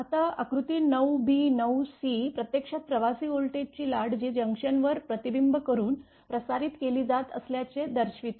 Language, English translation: Marathi, Now, figure nine b nine c actually shows the travelling voltage wave being reflected and transmitted at the junction J right